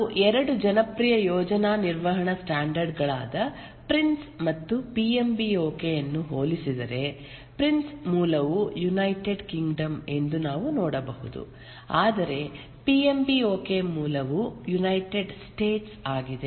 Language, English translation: Kannada, If we compare two popular project management standards, the Prince and the PMB, we can see that the Prince is the origin is United Kingdom whereas the PMBOK, the origin is United States